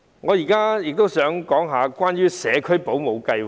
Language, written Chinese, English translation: Cantonese, 我亦想談關於社區保姆計劃。, Furthermore I would like to discuss the home - based child care service